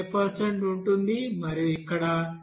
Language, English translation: Telugu, 0% and here water will be as 92